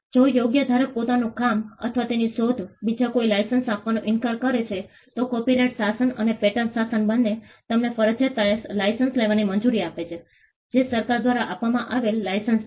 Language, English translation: Gujarati, If the right holder refuses to license his work or his invention to another person, both the copyright regime and the pattern regime allow you to seek a compulsory license, which is a license granted by the government